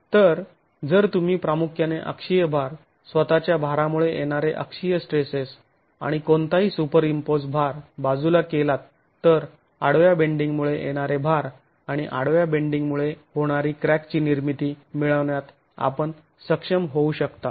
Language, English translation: Marathi, So, if you primarily remove the axial load, the axial stresses due to the self weight and any superimposed load from these expressions you should be able to get the loads corresponding to horizontal bending and crack formation under horizontal bending